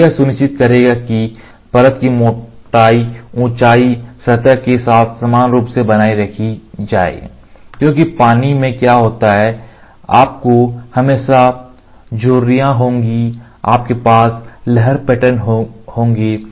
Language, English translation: Hindi, So, this will make sure that the layer thickness height is uniformly maintained along the surface because in water what happens, you will always have wrinkles